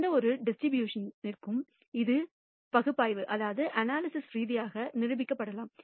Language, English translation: Tamil, This can be analytically proven for any kind of distribution